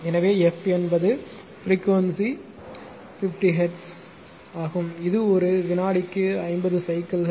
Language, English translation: Tamil, So, f is the frequency that is your say frequency 50 hertz means; it is 50 cycles per second right